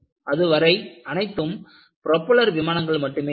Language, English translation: Tamil, Until then, they were all only propeller planes